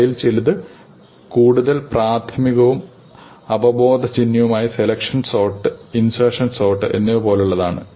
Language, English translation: Malayalam, Some of which are more elementary and intuitive like insertion sort and selection sort